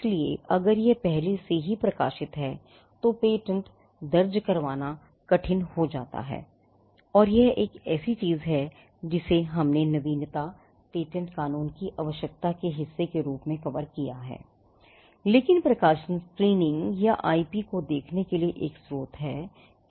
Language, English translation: Hindi, So, if it is already published then it becomes hard to file a patent and this is something which we covered as a part of the novelty requirement and patent law, but publications are a source for screening or looking at IP